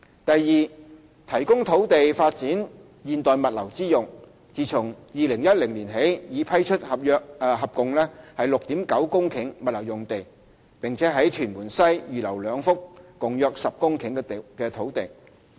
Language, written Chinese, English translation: Cantonese, 第二，提供土地作發展現代物流之用，自2010年起已批出合共 6.9 公頃物流用地，並於屯門西預留兩幅共約10公頃的土地。, Second additional land is provided for the development of modern logistics . Since 2010 the Government has provided a total of 6.9 hectares of logistics sites and reserved two sites with a total area of some 10 hectares in Tuen Mun West